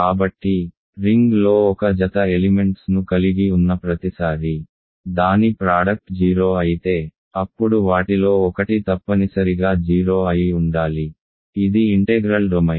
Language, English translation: Telugu, So, every time you have a pair of elements from the ring whose product is 0, then one of them must be 0, this is an integral domain